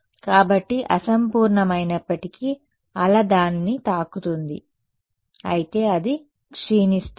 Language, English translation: Telugu, So, that even though is imperfect the wave will hit it, but still it will decay ok